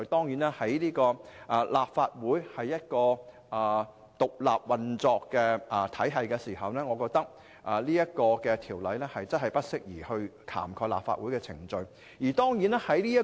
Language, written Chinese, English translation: Cantonese, 由於立法會是獨立運作的體系，我認為《條例草案》確實不宜涵蓋立法會的程序。, As the Legislative Council is an independent organ I concur that it is inappropriate to apply the Bill to Legislative Council proceedings